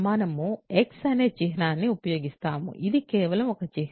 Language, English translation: Telugu, And we use a symbol called x ok, this is just a symbol